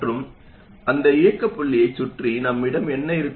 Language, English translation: Tamil, And around that operating point, what will we have